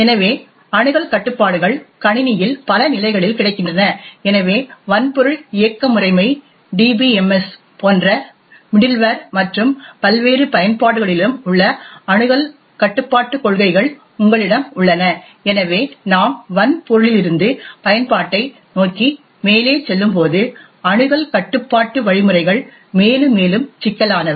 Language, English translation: Tamil, So access controls are available in a number of levels in the system, so you have access control policies which are present at the hardware, operating system, middleware like DBMS and also in various applications, so as we go upwards from the hardware towards the application, the access control mechanisms become more and more complex